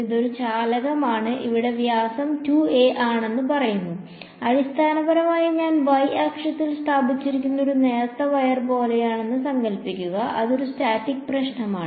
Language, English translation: Malayalam, It is a conductor and diameter over here is say some 2 a, imagine is like a thin wire basically that I have placed along the y axis and it is a statics problem